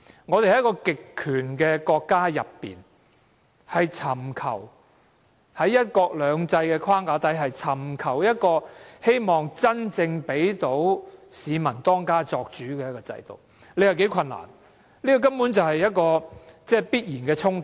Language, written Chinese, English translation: Cantonese, 我們在一個極權國家內，在"一國兩制"的框架下，要尋求真正讓市民當家作主的制度，你說多困難，這根本是必然的衝突。, Being ruled under the framework of one country two systems by a totalitarian country you can imagine how difficult it is for us to find a system that truly allows its people to be the decision - makers